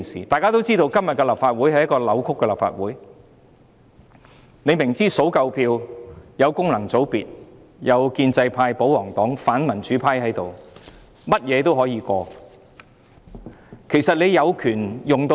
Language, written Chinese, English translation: Cantonese, 大家也知道，今天的立法會是一個扭曲的立法會，明知只要數夠票，得到功能界別、建制派、保皇黨和反民主派的支持，甚麼也可以通過。, We all know that the Legislative Council today is a distorted legislature in that everything can be passed so long as it has the support from the functional constituencies the pro - establishment camp the pro - Government camp and the anti - democracy camp